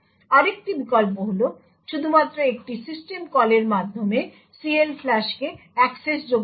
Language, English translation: Bengali, Another alternative is to make CLFLUSH accessible only through a system call